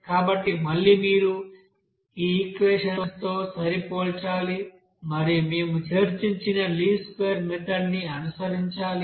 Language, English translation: Telugu, So this then again you have to compare with this equation and then follow that least square method that what we have discussed here